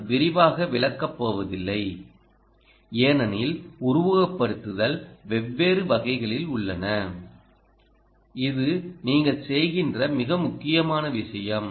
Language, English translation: Tamil, i will not go into detail because simulations are of different types and this is the most important thing you are actually doing: the circuit simulation